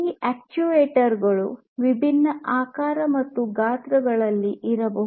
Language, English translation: Kannada, And these actuators can come in different shapes and sizes